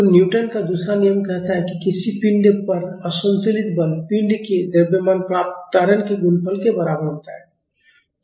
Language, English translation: Hindi, So, the Newton’s second law says the unbalanced force on a body is equal to the mass of the body multiplied by the acceleration it gains